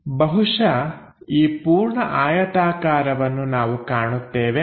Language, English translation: Kannada, We are going to see this rectangle